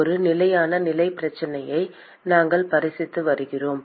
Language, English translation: Tamil, We are considering a steady state problem